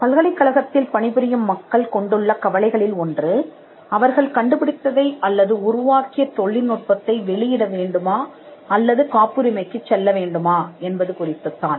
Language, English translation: Tamil, One of the concerns that people who work in the university have is with regard to whether they should publish the invention or the technology that they have developed or whether they should go for a patent